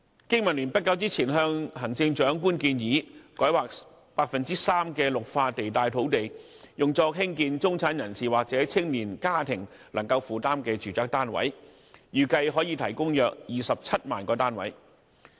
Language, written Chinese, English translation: Cantonese, 經民聯不久前向行政長官建議，改劃 3% 的綠化地帶土地，用作興建中產人士或青年家庭能夠負擔的住宅單位，預計可提供約27萬個單位。, Not long ago BPA suggested to the Chief Executive that 3 % of green belt sites should be rezoned for building residential units affordable to the middle class or young families and it is expected that this can provide about 270 000 units